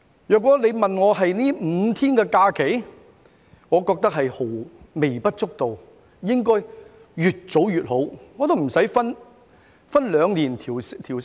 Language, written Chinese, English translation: Cantonese, 如果你問我關於這5天假期，我認為是微不足道，應該越早實行越好，無須每兩年增加一天。, If you ask me about these five days of holidays I think they are insignificant and should be granted as early as possible and there is no need to increase an additional day every two years